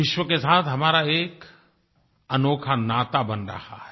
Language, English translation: Hindi, We are forging a unique bond with the rest of the world